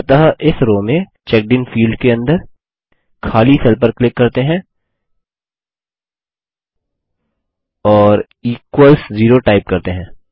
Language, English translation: Hindi, So let us click on the empty cell in this row, under the CheckedIn field and type in Equals Zero